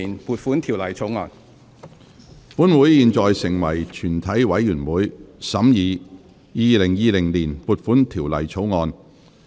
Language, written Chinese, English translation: Cantonese, 本會現在成為全體委員會，審議《2020年撥款條例草案》。, Council now becomes committee of the whole Council to consider the Appropriation Bill 2020